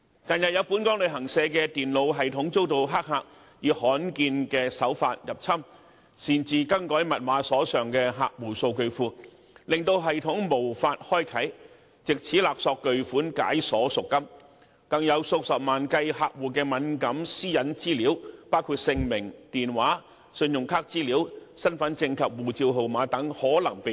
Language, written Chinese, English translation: Cantonese, 近日，有本港旅行社的電腦系統遭黑客以罕見手法入侵，擅自更改密碼，鎖上客戶數據庫，令系統無法開啟，藉此勒索巨款解鎖贖金，更有數十萬計客戶的敏感私隱資料可能被盜取，包括姓名、電話、信用卡資料、身份證及護照號碼。, The computer system of a local travel agency was hacked recently by rare means and the hackers made unauthorized change to the systems password and locked down the computers rendering the system and client database inaccessible by the company thereby holding the company for a significant amount of ransom . Moreover sensitive personal data of hundreds of thousands of clients might possibly be stolen including names phone numbers credit card information identity card and passport numbers